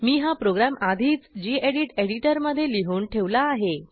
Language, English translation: Marathi, I have already typed a program in the gedit editor